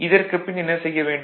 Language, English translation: Tamil, So, after this, what you will do